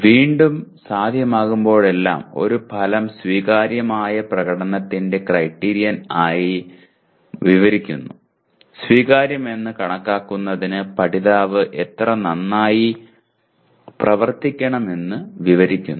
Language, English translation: Malayalam, Again, whenever possible an outcome describes the criterion of acceptable performance by describing how well the learner must perform in order to be considered acceptable